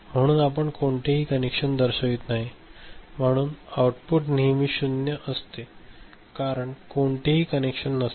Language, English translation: Marathi, So we do not show any connection, so it is always 0 output is always 0 because no connection is there right